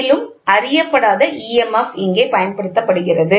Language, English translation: Tamil, So, unknown EMF is applied here